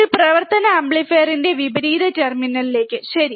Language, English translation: Malayalam, To the inverting terminal of an operational amplifier, alright